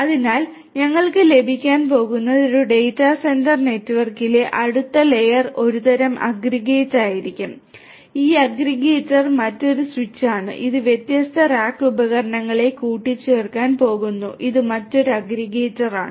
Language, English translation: Malayalam, So, then what we are going to have is the next layer over here in a data centre network will be some kind of an aggregator, this aggregator is another switch which is going to aggregate these different these different rack devices this is another aggregator